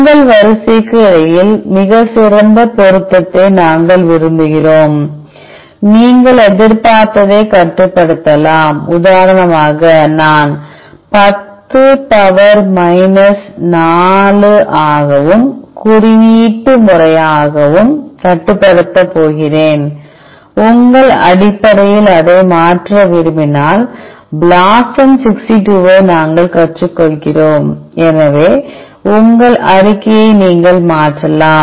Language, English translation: Tamil, We want very good match between your sequence, you can restrict the expected threshold for example, I am going to restrict to 10 power minus 4 and, as a coding parameter which we learn blosum 62, in case you want to change that based on your constraint so, your problem statement you can change it